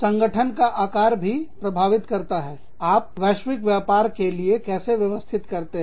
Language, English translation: Hindi, The size of the organization, will also have an impact on, how you organize for global business